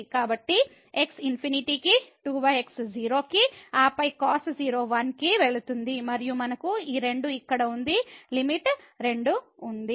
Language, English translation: Telugu, So, now if we take the limit here goes to 0 so, the cos 0 is 1 so, 2 by 2 the limit is 1